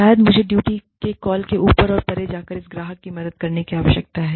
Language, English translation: Hindi, Maybe, i need to go above and beyond the call of duty, and help this customer